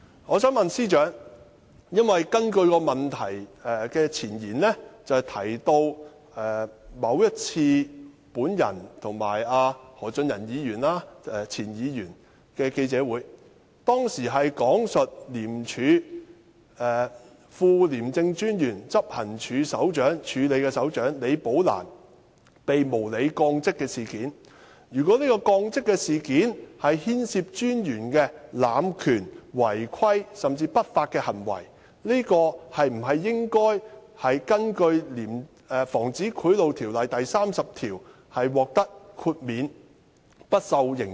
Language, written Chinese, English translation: Cantonese, 我想問司長，因為這項質詢的前言提到某一次我和前議員何俊仁的記者會，當時講述廉署副廉政專員，署理執行處首長李寶蘭被無理降職事件，如果這降職事件牽涉專員的濫權、違規，甚至不法行為，應否根據《防止賄賂條例》第30條獲得豁免，不受刑責？, The preamble to this oral question refers to a press briefing in which former Member Albert HO and I described the unreasonable demotion of Rebecca LI who was then Deputy Commissioner and Acting Head of Operations of ICAC . Can I therefore ask the Chief Secretary for Administration whether we should be granted exemption from criminal liability under section 30 of POBO if the demotion involved the abuse of power irregularities or even unlawful conduct by the Commissioner?